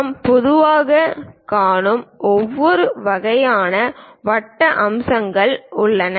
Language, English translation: Tamil, There are variety of circular features we usually see it